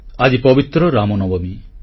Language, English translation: Odia, Today is the holy day of Ram Navami